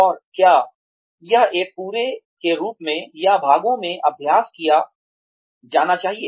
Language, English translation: Hindi, And whether, it should be practiced as a whole, or in parts